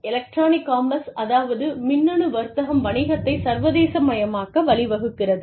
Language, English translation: Tamil, Electronic commerce has also led to, the internationalization of business